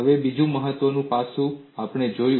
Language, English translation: Gujarati, And another important aspect also we looked at